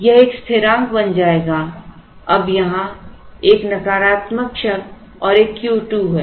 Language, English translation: Hindi, This will become a constant, now there is a negative term and a Q square here